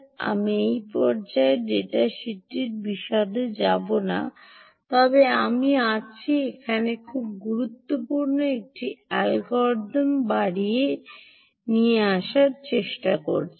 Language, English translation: Bengali, i will not get into the detail of the data sheet at this stage, but i am trying to drive home a very important algorithm that is out here: ah um